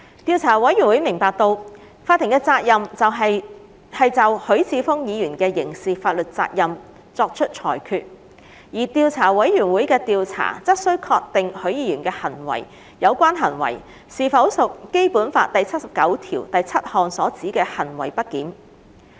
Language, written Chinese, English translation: Cantonese, 調查委員會明白到，法庭的責任是就許智峯議員的刑事法律責任作出裁決，而調査委員會的調查則須確定許議員的有關行為是否屬《基本法》第七十九條第七項所指的行為不檢。, The Investigation Committee is mindful that the court is responsible for adjudicating on the criminal liability of Mr HUI Chi - fung whereas the Investigation Committees investigation is to ascertain whether Mr HUIs relevant conduct amounted to misbehaviour under Article 797 of the Basic Law